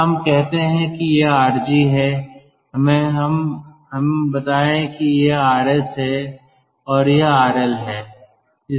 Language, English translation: Hindi, so lets say this is r g, lets say this is r solid and this is r l